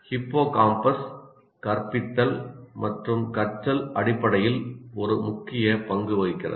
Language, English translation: Tamil, So hippocampus, as you can see, plays also an important role in terms of teaching and learning